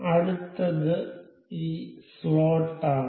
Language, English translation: Malayalam, So, next one is this slot